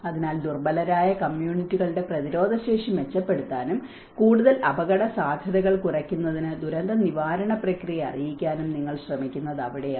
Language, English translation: Malayalam, So, that is where one will try to you know improve the resilience of vulnerable communities and inform the disaster management process to reduce the further risks